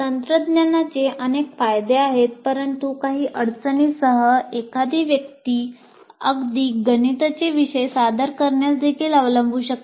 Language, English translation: Marathi, So while the technology has several advantages, with some difficulty one can adopt to even presenting mathematical subjects as well